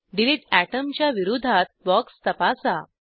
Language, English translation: Marathi, Check the box against delete atom